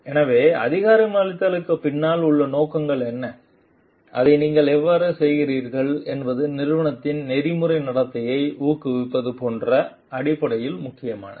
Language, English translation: Tamil, So, what is your intention behind the empowerment and how you are doing it is and important in terms of like promoting ethical behavior in the organization